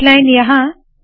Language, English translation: Hindi, H line here